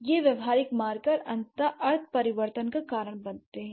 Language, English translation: Hindi, So, these pragmatic markers eventually lead to semantic change